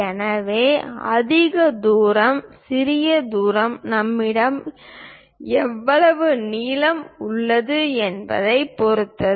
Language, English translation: Tamil, So, the greater distance, smaller distance depends on how much length we have leftover